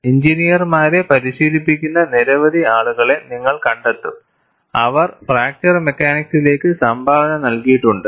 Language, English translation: Malayalam, Now, you will find many people, who are practicing engineers, they have contributed to fracture mechanics